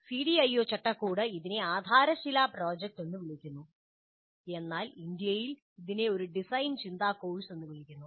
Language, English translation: Malayalam, Again, CDIO framework calls this as cornerstone project, but in India we are more used to calling this as simply a design thinking course